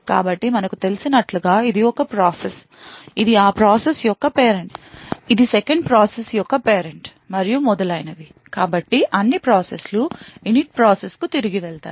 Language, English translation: Telugu, So, as we know if this is a process, this is the parent of that process, this is the parent of the 2nd process and so on, so all processes while we go back to the Init process